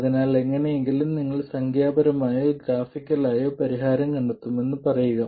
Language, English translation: Malayalam, So, say somehow you find the solution either numerically or graphically